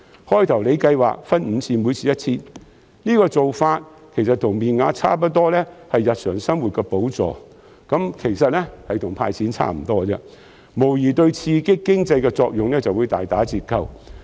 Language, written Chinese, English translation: Cantonese, 最初司長計劃分5次派發，每次 1,000 元，其實面額差不多是日常生活的補助，跟"派錢"差不多，無疑會對刺激經濟的作用大打折扣。, Initially FS planned to disburse the vouchers in five instalments of 1,000 each . The face value is more or less the same as the subsidies for daily living and is no different from handing out cash thus the economic stimulus will inevitably be limited